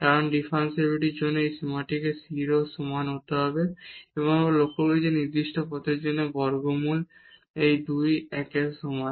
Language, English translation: Bengali, Because, for differentiability this limit must be equal to 0 and what we have observed that along this particular path this limit is equal to 1 over square root 2